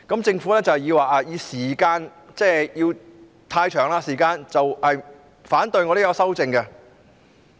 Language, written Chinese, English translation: Cantonese, 政府是以時間過長為理由而反對我的修正案。, The Government opposed my amendments on the ground that the time required would be too long